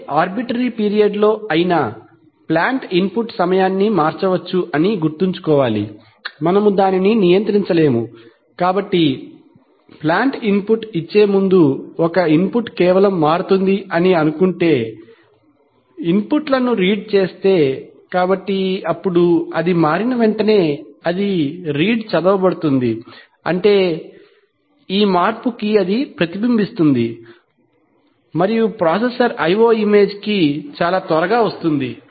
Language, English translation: Telugu, remember that the plant input can change at any arbitrary period of time, we cannot control that, right, so, suppose the plant input changes just before, an input, the inputs are read, so then immediately after it changes it will be read, that is this change will be reflected and will come to the processor IO image very quickly